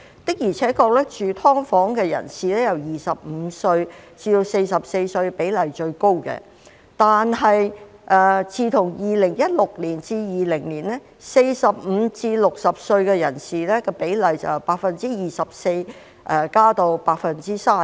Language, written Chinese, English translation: Cantonese, 的而且確，住"劏房"的人由25歲至44歲的比例最高，但自從2016年至2020年 ，45 歲至60歲人士的比例由 24% 增至約 32%。, It is true that people aged 25 to 44 constitutes the highest proportion of people living in SDUs but from 2016 to 2020 the proportion of people aged 45 to 60 has increased from 24 % to about 32 %